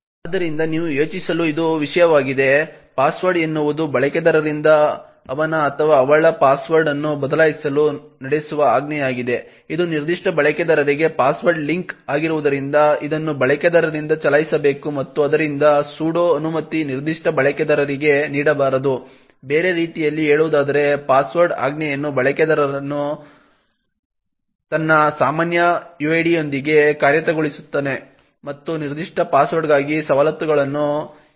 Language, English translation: Kannada, So this is something for you to think about, password is a command that is run by a user to change his or her password, since this is a password link to a particular user, it should be run by a user and therefore the sudo permission should not be given for that particular user, in other words the password command is executed by a user with his normal uid and does not require to escalate privileges for that particular password